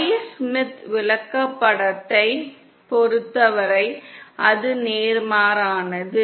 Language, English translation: Tamil, For the Y Smith chart, it is just the opposite